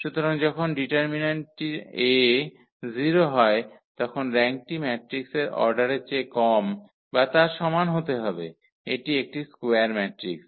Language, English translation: Bengali, So, when determinant A is 0 the rank has to be less than or equal to the order of the matrix here it is a square matrix